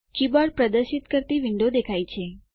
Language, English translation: Gujarati, The window displaying the keyboard appears